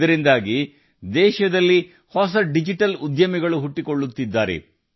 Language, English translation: Kannada, For this reason, new digital entrepreneurs are rising in the country